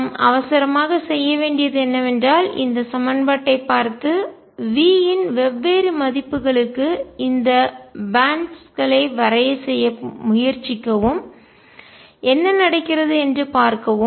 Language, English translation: Tamil, What our urge to do is look at this equation and try to plot these bands for different values of V and see what happens